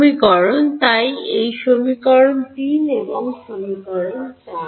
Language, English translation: Bengali, Now let us look at these two equations so this equation 3 and equation 4